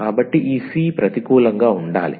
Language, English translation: Telugu, So, this c has to be non negative